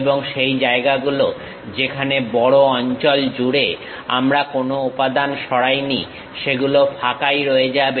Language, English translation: Bengali, And, the places where the larger portions we did not remove any material that portion will be left blank